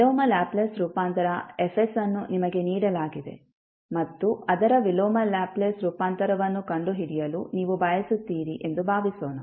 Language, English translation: Kannada, Suppose, the inverse Laplace transform Fs is given to you and you want to find out its inverse Laplace transform